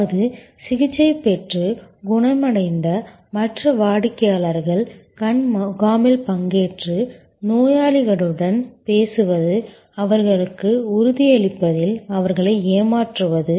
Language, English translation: Tamil, That means, other customers who have been treated and who have been cured participating in eye camps, talking to intending patients, a swaging them in assuring them